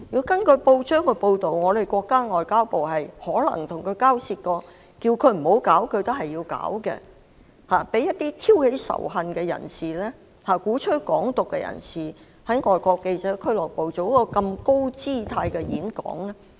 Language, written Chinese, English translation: Cantonese, 根據報章報道，我們國家的外交部可能曾與他交涉，要求他不要舉辦該場演講，但他堅持舉辦，讓一名挑起仇恨、鼓吹"港獨"的人士在外國記者會作出如此高姿態的演講。, According to a press report the Ministry of Foreign Affairs of our country might have taken the matter up with him and asked him not to hold the talk but he insisted and allowed a person stirring up hatred and advocating Hong Kong independence to deliver such a high - profile speech at FCC